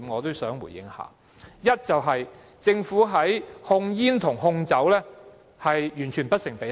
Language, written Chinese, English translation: Cantonese, 第一，是政府的控煙和控酒工作完全不成比例。, First the Governments tobacco control and alcohol control efforts are utterly disproportionate